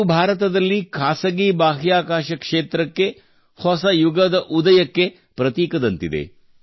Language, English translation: Kannada, This marks the dawn of a new era for the private space sector in India